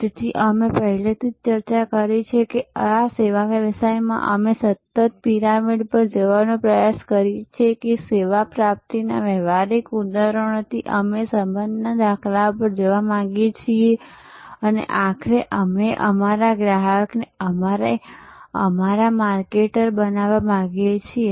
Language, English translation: Gujarati, So, this we have already discussed that in services businesses we constantly try to go up this pyramid that from transactional instances of service procurement, we want to go to relational paradigm and ultimately we want our customer to become our marketer